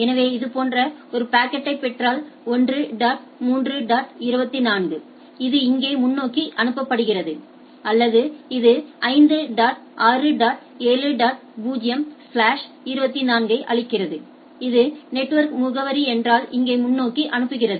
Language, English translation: Tamil, So, if gets if it gets a packet like this 1 dot 3 dot 24 it forwards out here this or it gives that 5 dot 6 dot 7 dot 0 slash 24 that if the this is the network address is forward here right